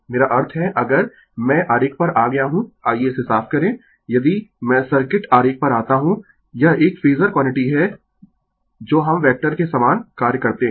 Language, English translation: Hindi, I mean if, I come to the diagram let me clear it , if, I come to the circuit diagram if I come to the circuit diagram it is a Phasor quantity that we do vector same thing